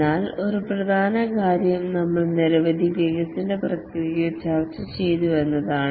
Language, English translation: Malayalam, But one important thing is that we discussed several development processes